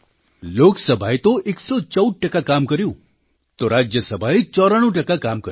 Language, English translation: Gujarati, Lok sabha's productivity stands at 114%, while that of Rajya Sabha is 94%